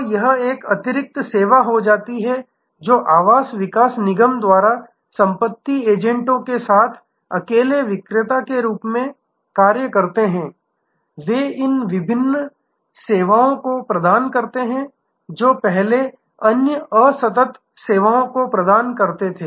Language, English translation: Hindi, So, this becomes an additional service provided by a housing development corporation acting as a seller alone with estate agents, they provide these number of different services, which earlier where other discrete services